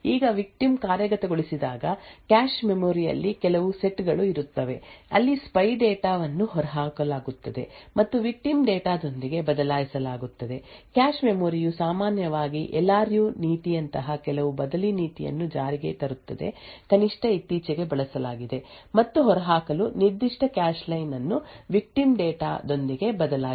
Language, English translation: Kannada, Now when the victim executes there will be certain sets in the cache memory, where the spy data would be evicted and replaced with the victim data, cache memory would typically implement some replacement policy such as the LRU policy and identify a particular cache line to evict and that particular cache line is replaced with the victim data